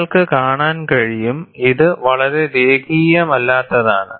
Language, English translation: Malayalam, You could see it is highly non linear